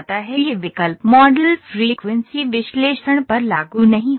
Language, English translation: Hindi, This option is not applicable to modal frequencies analysis